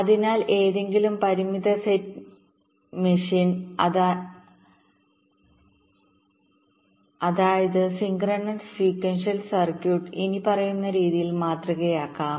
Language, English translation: Malayalam, so any finite set machine that means ah synchronous sequential circuit can be modeled as follows